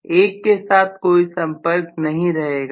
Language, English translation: Hindi, There is no contact with 1 at all